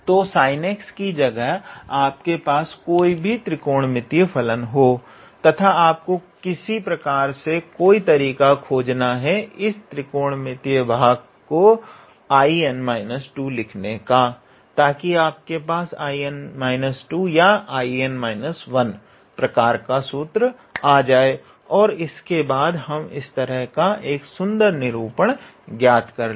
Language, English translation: Hindi, So, instead of sin x you can have any trigonometrical function and you just have to find in some way to up to write that trigonometrical part as I n minus 2 to get the formula of type I n minus 2 or I n minus 1 and then we will basically obtain a nice representation of this type